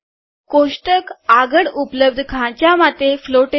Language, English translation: Gujarati, The table is floated to the next available slot